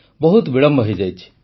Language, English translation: Odia, It is already late